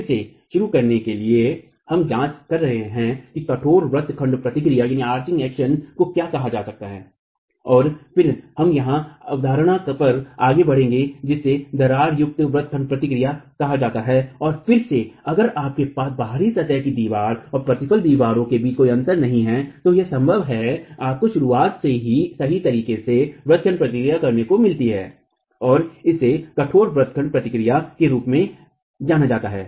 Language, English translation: Hindi, Again to begin with we are examining what is called a rigid arching action and then we will move on to a concept called gaped arching action and there again if you have no gap between the out of plain wall and the return walls then it is possible that you get arching action right at the beginning and that is referred to as rigid arching action